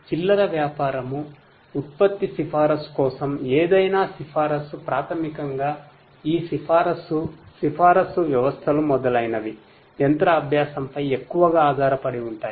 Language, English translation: Telugu, For retail, product recommendation any recommendation basically this recommendation is something where recommendation recommender systems etc